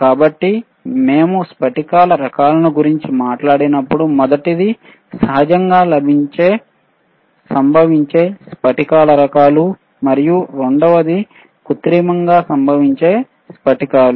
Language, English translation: Telugu, So, when we talk about crystal types, what a one first one is naturally occurring crystal types right, naturally occurring and second one is synthetically occurring crystals one is naturally occurring second is synthetically occurring